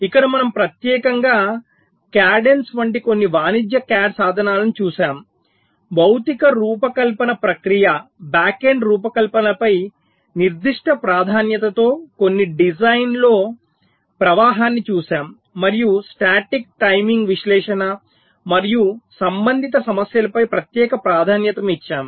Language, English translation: Telugu, like cadians, we looked at some design flow in specific emphasis on physical design process, the backend design and also special emphasis on static timing analysis and related issues